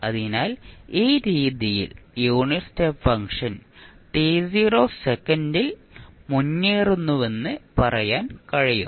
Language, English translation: Malayalam, So, in this way you can say that the unit step function is advanced by t naught seconds